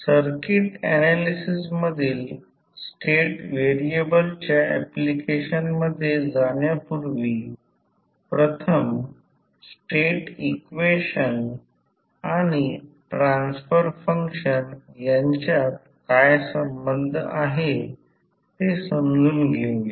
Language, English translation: Marathi, Before going into the application of state variable in circuit analysis, first let us understand what is the relationship between state equations and the transfer functions